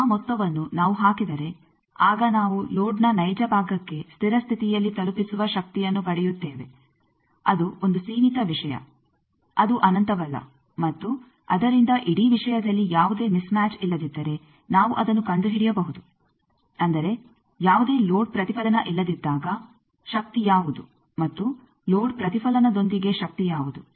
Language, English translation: Kannada, That sum if we put, then we get the power that is delivered to the real part of the load at steady state that is a finite thing that is not infinite, and from that we can find out that if there was no mismatch in the whole thing; that means, if there was no load reflection then, what was the power and with load reflection what was the power